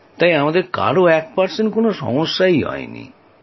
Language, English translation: Bengali, There we did not face even one percent problem